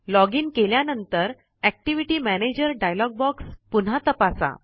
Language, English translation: Marathi, Check the Activity Manager dialog box again when you login